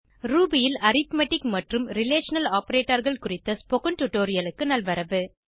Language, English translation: Tamil, Welcome to the Spoken Tutorial on Arithmetic Relational Operators in Ruby